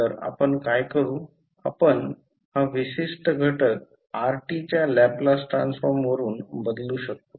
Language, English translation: Marathi, So, what we will do we will this particular component you can replace with the Laplace transform of Rt